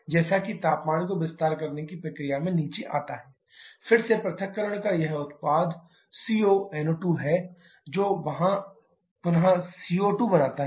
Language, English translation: Hindi, As the temperatures has to come down in the expansion process, again this product of dissociation that is CO NO2 recombine back to form CO2 there